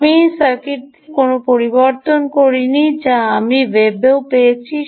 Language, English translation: Bengali, i did not make changes to this circuit, which i also found on the web